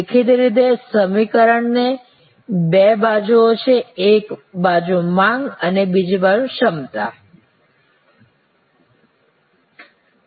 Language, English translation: Gujarati, Obviously, there are two sides to the equation, one is the demand side and another is the capacity side